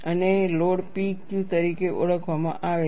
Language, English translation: Gujarati, And the load is referred as P Q